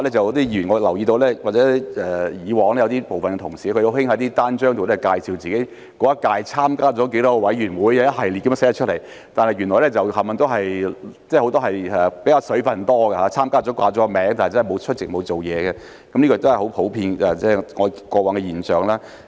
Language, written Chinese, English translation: Cantonese, 我亦留意到有部分同事以往很喜歡在單張介紹自己在當屆參加了多少個委員會，一系列地列出來，但原來很多都"水分"較多，他們只是報了名參加而沒有出席或工作，這都是過往的普遍現象。, I also noticed that some colleagues very much liked to state on their leaflets the number of committees that they had joined in that term of the Legislative Council setting out a series of committees . But these numbers turned out to be quite exaggerated as they only signed up to join the committees without attending meetings or doing any work and this was very common in the past